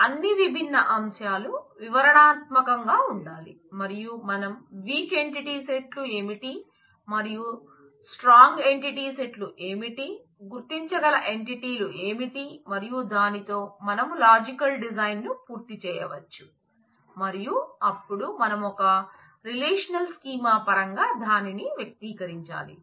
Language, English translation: Telugu, So, all those are different aspects will have to be detailed out and we need to identify what are the weak entity sets and what are the strong entity sets, what are the identifying entities and with that we could complete the logical design and then we will need to make it in terms of it express it in terms of a relational schema